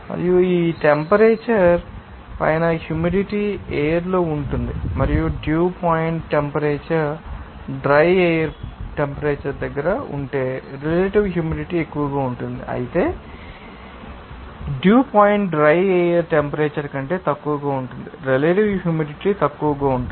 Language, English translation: Telugu, And above this temperature, the moisture will stay in the air and if the dew point temperature is close to the dry air temperature then the relative humidity will be high whereas the dew point is well below the dry air temperature you can see that relative humidity will be low